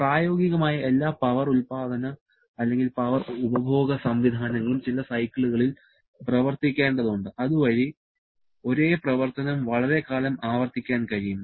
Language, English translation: Malayalam, Practically, all power producing or power consuming systems has to work on certain cycle, so that they can keep on repeating the same action over a long period of time